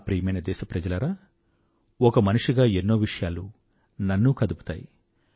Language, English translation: Telugu, My dear countrymen, being a human being, there are many things that touch me too